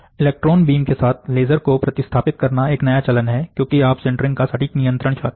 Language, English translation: Hindi, Replacing laser with electron beam is a new trend, why because you want to have a precise control of sintering